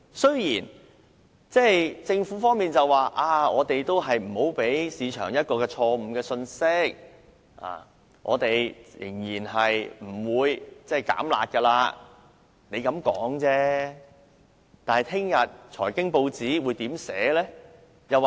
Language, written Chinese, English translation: Cantonese, 雖然政府表明無意向市場發放錯誤信息，當局仍然不會"減辣"，但明天財經新聞會如何報道？, Although the Government has indicated that it has no intent to give the market a wrong message that the authorities would relax the curb measures how will this information be reported in the financial news tomorrow?